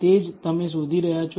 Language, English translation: Gujarati, That is what you are looking for